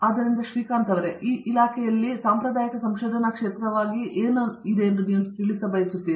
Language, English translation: Kannada, So, Srikanth, in your department, what would you classify as a traditional areas of research